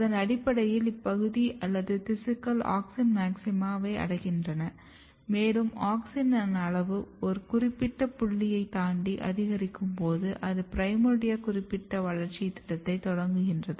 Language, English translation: Tamil, And this is how the region or the tissues they basically achieve auxin maxima, and when auxin level is increased beyond a certain point it initiate a primordia specific developmental program